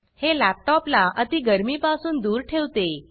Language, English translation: Marathi, This helps to keep the laptop from overheating